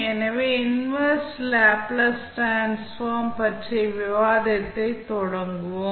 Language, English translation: Tamil, So, let us start the discussion about the inverse Laplace transform